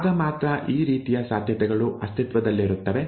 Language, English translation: Kannada, Only then these kind of possibilities would exist, right